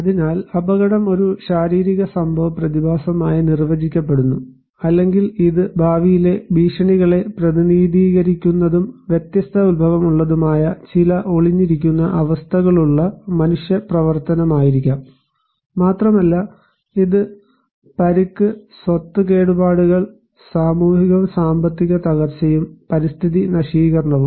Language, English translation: Malayalam, So, hazard is defined as a potentially damaging physical event phenomena or it could be human activity that has some latent conditions that may represent future threats and can have different origin but also it may cause the loss of life of injury, property damage, social and economic disruption and environmental degradation